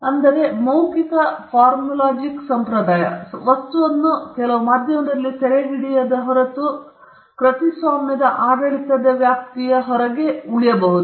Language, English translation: Kannada, So the oral formulaic tradition, unless the substance is captured in some medium, can remain outside the purview of the copyright regime